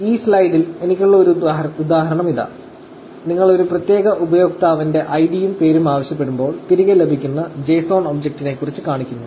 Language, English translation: Malayalam, So, here is an example that I have in this slide, which just shows you about the JSON object that is returned, when you are asking for id and name of a particular user